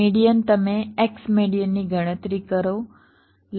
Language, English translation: Gujarati, so the red point is your x median median